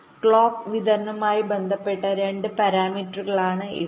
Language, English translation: Malayalam, these are two parameters which relate to clock distribution